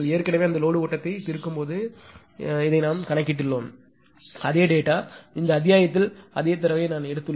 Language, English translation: Tamil, This already we have calculated when you are ah solving that load flow right; same data, I have taken same data thought out this chapter